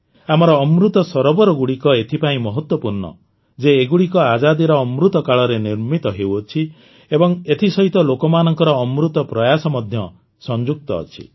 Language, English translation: Odia, Our Amrit Sarovarsare special because, they are being built in the Azadi Ka Amrit Kal and the essence of the effort of the people has been put in them